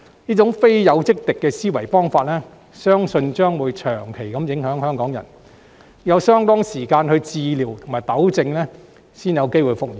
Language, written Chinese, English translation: Cantonese, 這種非友即敵的思維方式，相信將會長期影響香港人，要有相當長時間的治療和糾正，才有希望復原。, It is believed that some Hong Kong people will be under the influence of such an mentality of treating others either as a friend or as a foe for a considerable period of time and only with prolonged treatment and rectification will there be hope for their recovery